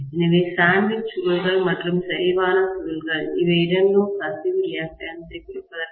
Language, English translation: Tamil, So sandwiched coils and concentric coils, these are two ways of reducing leakage reactance